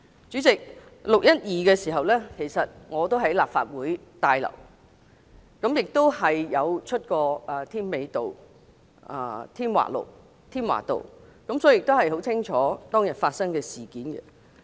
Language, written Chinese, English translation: Cantonese, 主席 ，6 月12日當天我也在立法會大樓，亦有去過添華道，所以很清楚當天發生的事件。, President on the day of 12 June I was in the Complex and I also went to Tim Wa Avenue . Hence I am well aware of what happened that day